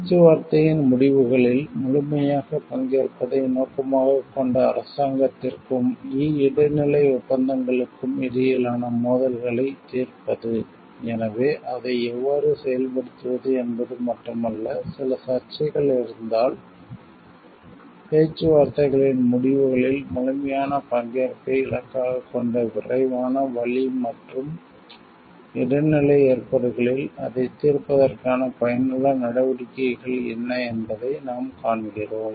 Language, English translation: Tamil, And settlement of disputes between the government and e transitional agreements aiming at the fullest participation in the results of the negotiation; so, what we find it is not only how it can be implemented, but how if some disputes arise what is the effective measures to solve it in an expedited, it in a fast way and a transitional arrangements aiming at the fullest participation of the results of negotiation